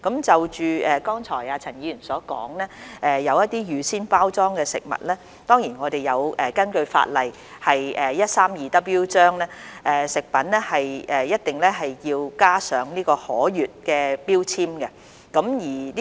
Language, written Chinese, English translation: Cantonese, 就陳議員剛才所說的一些預先包裝食品，根據香港法例第 132W 章，食品一定要加上可閱標籤。, In regard to the prepackaged food products mentioned by Mr CHAN according to Chapter 132W of the Laws of Hong Kong a food product must have a legible food label